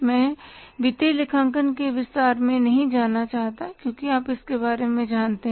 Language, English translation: Hindi, I don't want to go in detail about the financial accounting because you know it about